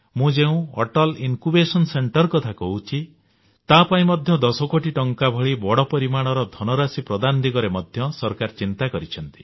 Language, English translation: Odia, And when I talk of Atal Incubation Centres, the government has considered allocating the huge sum of 10 crore rupees for this also